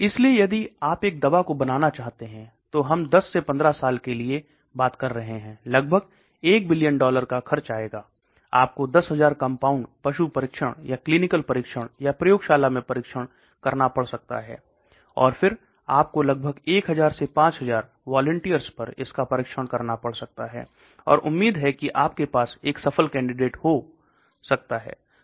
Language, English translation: Hindi, So if you want to go into a drug discovery, we are talking in terms of 10 to 15 years it cost about 1 billion dollars, you may have to test maybe 10,000 compounds, animal trials or clinical trials or in the lab, and then you may have to test it out on about 1000 to 5000 volunteers, and hopefully you may have one successful candidate okay